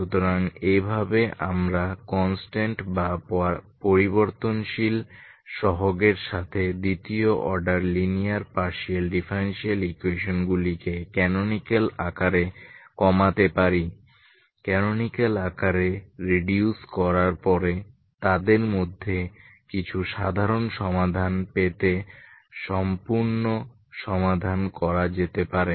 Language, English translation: Bengali, So this is how we can reduce second order linear partial differential equation with constant or variable coefficients into a canonical forms some of them after reducing into canonical form can be solved completely to get the general solution